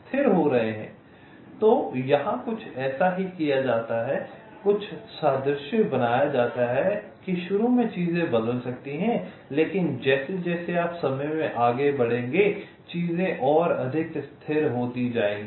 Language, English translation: Hindi, some analogy is drawn that initially things might change, but as you move in time things will become more and more stable